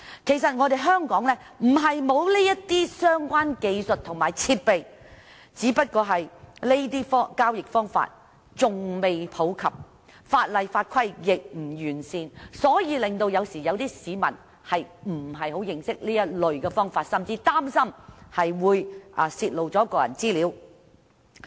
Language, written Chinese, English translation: Cantonese, 其實香港並非沒有相關技術和設備，只是這些交易方式仍未普及，法例法規亦不完善，令市民不太認識這類付款方法，甚至擔心會泄露個人資料。, Actually it is not that Hong Kong lacks the relevant technologies and equipment . It is only that these modes of transactions are still not popular and the laws and regulations are not perfect . Consequently members of the public do not have much knowledge of this kind of payment methods